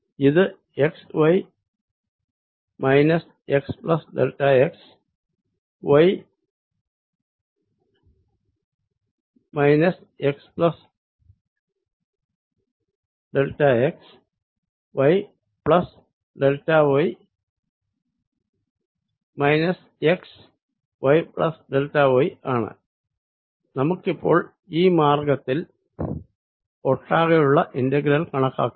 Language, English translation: Malayalam, so i am going to take it like this: this is x, y, x plus delta, x, y, x plus delta, x, y plus delta y, x, y plus delta y, and let us calculate this integral over this entire path